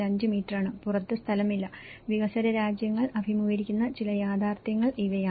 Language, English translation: Malayalam, 5 meters and there is no outside space, so these are some of the reality which the developing countries face